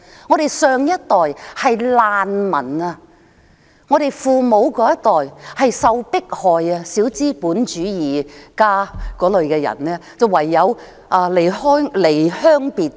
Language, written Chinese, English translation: Cantonese, "我們父母上一代是難民，他們受到迫害，被批小資本主義，唯有離鄉背井。, The generation preceding our parents were refugees . Being persecuted and criticized for practising petty capitalism they had no alternative but to leave hearth and home